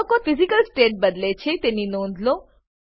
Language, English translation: Gujarati, Notice that elements change their Physical state